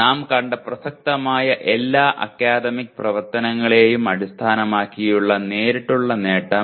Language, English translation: Malayalam, Direct attainment based on all relevant academic activities we saw it is 0